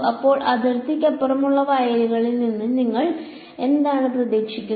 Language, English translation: Malayalam, So, what do you expect of the fields across the boundary